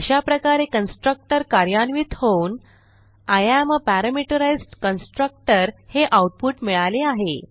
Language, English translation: Marathi, So this constructor is executed and we get the output as I am Parameterized Constructor